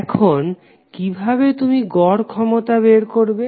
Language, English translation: Bengali, Now, how you will calculate average power